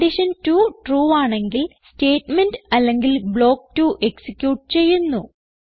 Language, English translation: Malayalam, If condition 2 is true, it executes statement or block 2